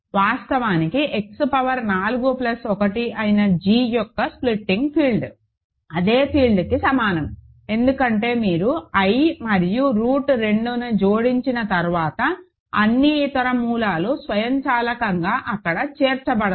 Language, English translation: Telugu, So, actually the splitting field of g which is X power 4 plus 1 is equal to also the same field, because once you add i and root 2, all the other roots automatically are included there